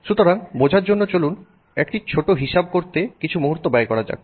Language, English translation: Bengali, So, to understand that let's do a small calculation